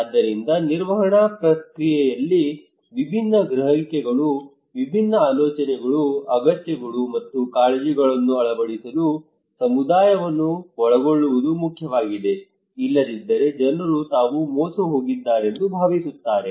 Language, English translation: Kannada, So involving community is important in order to incorporate different perceptions, different ideas, needs, and concerns into the management process otherwise people feel that they are cheated